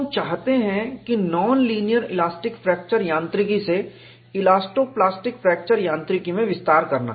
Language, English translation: Hindi, So, we want to graduate from non linear elastic fracture mechanics to elasto plastic fracture mechanics